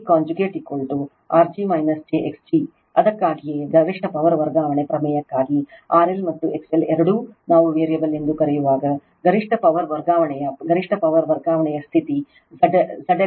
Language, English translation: Kannada, Therefore, Z g conjugate is equal to R g minus j x g right that is why for maximum power transfer theorem, when both R L and your X L your both are your what we call variable, then this is the condition for maximum power transfer maximum power transfer that Z L is equal to Z g conjugate right